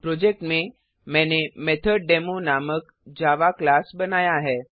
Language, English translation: Hindi, In the project, I have created a java class name MethodDemo